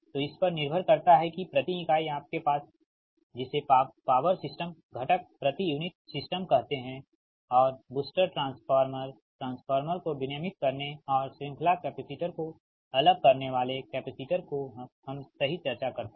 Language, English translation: Hindi, so, up to this, that per unit co, your what you call power system component per unit system and booster, transformer, regulating transformers, and series capacitors, shunt capacitors, we have discussed